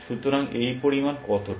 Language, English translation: Bengali, So, what does this amount to